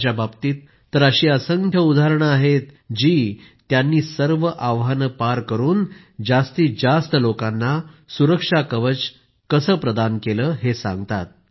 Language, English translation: Marathi, There are innumerable instances about them that convey how they crossed all hurdles and provided the security shield to the maximum number of people